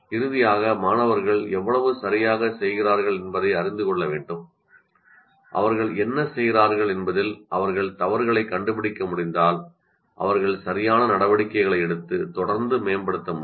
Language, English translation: Tamil, And finally, the student should be able to know how exactly they are doing and if they can find faults with whatever they are doing, they will be able to take corrective steps and continuously improve